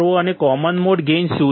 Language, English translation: Gujarati, And what is the common mode gain